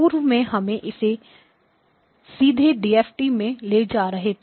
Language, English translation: Hindi, These branches, previously we were taking it directly to a DFT